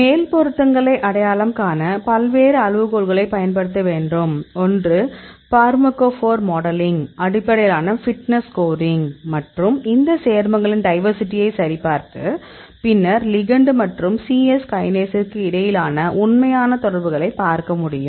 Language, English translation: Tamil, So, you have to use various criteria to identify the top fits; one is the fitness score based on the pharmacophore modeling and check the diversity of these compounds and then see the actual interaction between the ligand as well as the C Yes kinase